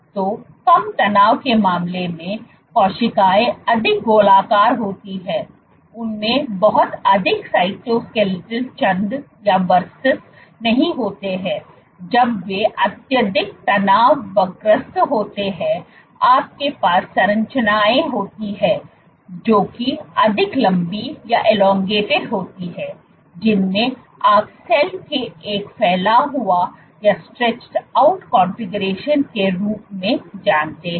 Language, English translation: Hindi, So, in case of low tension the cells are more rounded do not have much cytoskeleton verses in when they are highly tensed you have structures which are more elongated most you know a stretched out configuration of the cell